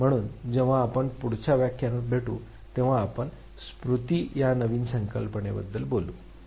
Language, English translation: Marathi, So, when we meet next we will be talking about a new concept that is memory